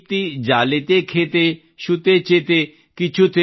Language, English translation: Kannada, ProdeeptiJaliteKhete, Shutee, Jethe